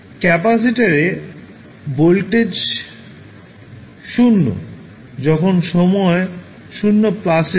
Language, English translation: Bengali, The voltage across the capacitor was 0 at time 0 plus